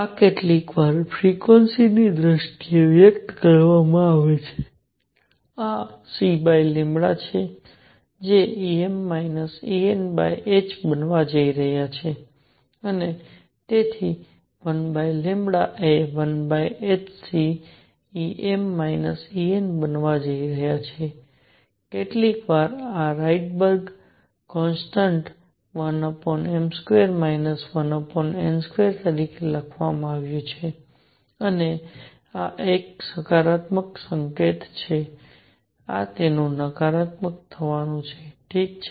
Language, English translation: Gujarati, This is sometimes expressed in terms of frequency this is C over lambda is going to be E m minus E n over h and therefore, 1 over lambda is going to be 1 over h c E m minus E n, sometimes this is written as Rydberg constant 1 over m square minus 1 over n square and this is to have a positive sign, this is going to be negative like this, all right